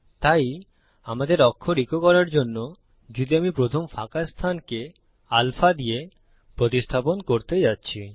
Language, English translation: Bengali, So , to echo out our letter, if I am going to replace the first blank with alpha